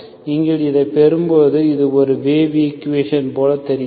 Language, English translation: Tamil, When you get this, this looks like a wave equation